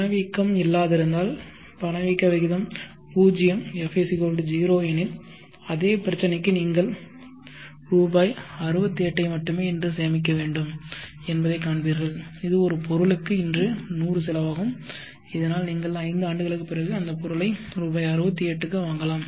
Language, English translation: Tamil, If inflation are not there if inflation rate were 0 F=0, then for the same problem you will see that rupees 68 only needs to be saved today which for an item it costs 100 today, so that you may buy it after five years